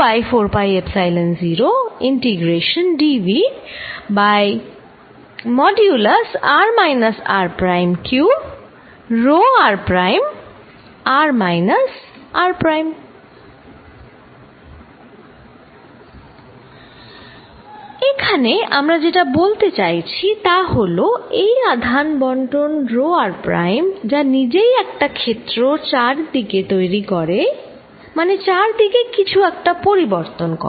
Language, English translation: Bengali, What we are going to now say is that is the charge distribution, given here rho r prime itself creates a field around it that means, it distorts something around it